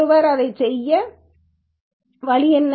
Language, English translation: Tamil, What is the way one can do that